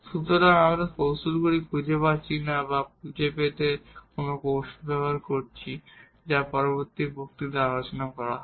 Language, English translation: Bengali, So, we are not finding the techniques or using any techniques to find the solution that will be discussed in the next lecture